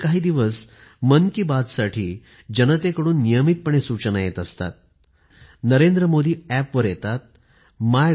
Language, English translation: Marathi, These days, people have been regularly sending their suggestions for 'Mann Ki Baat', on the NarendraModiApp, on MyGov